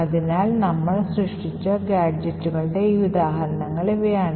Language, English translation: Malayalam, So, these were some of the examples of different gadgets that we have created